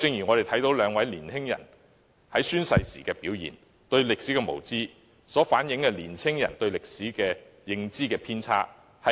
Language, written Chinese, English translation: Cantonese, 我們都看到兩位年輕人宣誓時的表現，他們對歷史的無知，反映出青年人對歷史認知的偏差。, The behaviour of the two young people at oath - taking well reflects their ignorance of history as well as young peoples incorrect understanding of history